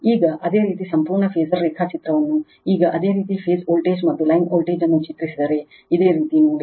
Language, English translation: Kannada, Now, if you draw the complete phasor diagram now your phase voltage and line voltage now look into this your right